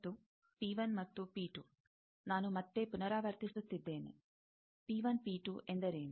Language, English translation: Kannada, And, P 1 and P 2, I am again repeating, what is P 1, P 2